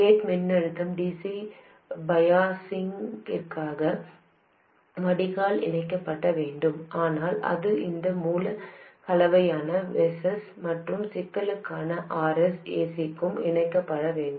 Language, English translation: Tamil, The gate voltage must get connected to the drain for DC biasing, but it should get connected to this source combination of Vs and RS for signal, for AC